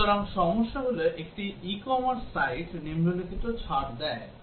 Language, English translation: Bengali, So, the problem is that an e commerce site gives following discount